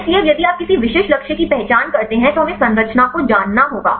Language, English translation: Hindi, So, now if you identify any specific target we have to know the structure